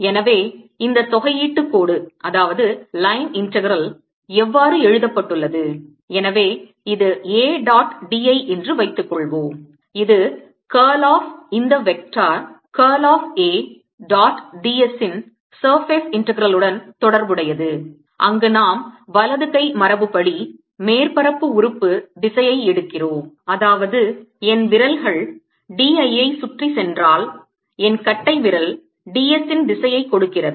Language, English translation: Tamil, it relates it to the surface integral of the curl of this vector curl of a dot d s, where we take the direction of the surface element according to the right hand convention, that is, if my fingers go, ah, around d l, my thumb gives the direction of d